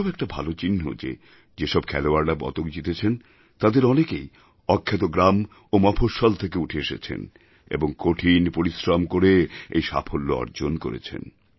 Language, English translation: Bengali, This too is a very positive indication that most of the medalwinners hail from small towns and villages and these players have achieved this success by putting in sheer hard work